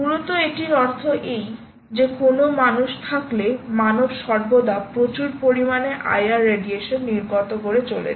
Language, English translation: Bengali, essentially it means this: that if there is a human, the human is emitting a lot of i r radiation all around all the time